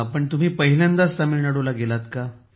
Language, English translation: Marathi, Was it your first visit to Tamil Nadu